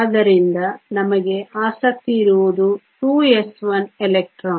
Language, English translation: Kannada, So, what you are interested in is the 2 s 1 electron right